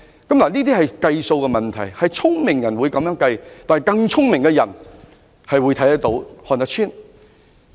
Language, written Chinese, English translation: Cantonese, 這是數字問題，聰明人會這樣計算，但更聰明的人亦能夠看得穿。, This is a matter of numbers . While smart people can figure out such computation even smarter people can surely see the trick